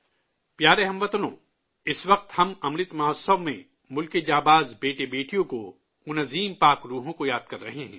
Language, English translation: Urdu, during this period of Amrit Mahotsav, we are remembering the brave sons and daughters of the country, those great and virtuous souls